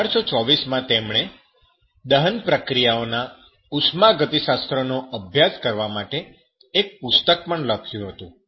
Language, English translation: Gujarati, He, in 1824, wrote a book to study the thermodynamics of combustions, reactions